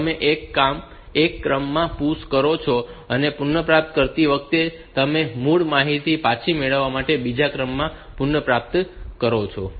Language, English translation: Gujarati, So, you push in in one order, and while retrieving you retrieve in the other order to get the original information back